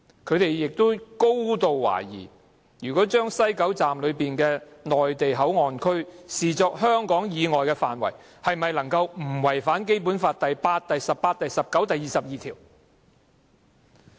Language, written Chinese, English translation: Cantonese, 他們亦高度懷疑，如果把西九龍站內的內地口岸區視作香港以外的範圍，是否不違反《基本法》第八、十八、十九及二十二條？, They also remain highly sceptical of the legality of the co - location arrangement under Article 8 Article 18 Article 19 and Article 22 of the Basic Law if the Mainland Port Area to be set up at West Kowloon Station is deemed as an area outside the territory of HKSAR